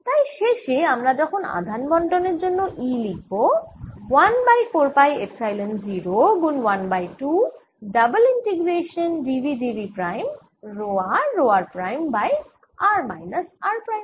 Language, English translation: Bengali, so if final expression for the energy than comes out to be one over four pi epsilon zero, one half integration row are row r prime over r minus r prime, d r d r prime